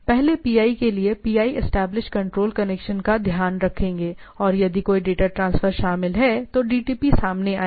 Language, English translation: Hindi, So, first the PIs PI will take care of that control connection established and if there is a data transfer involved then the DTPs will come into play